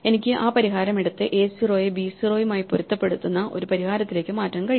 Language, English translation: Malayalam, So, I can take that solution and change it to a solution where a 0 matches b 0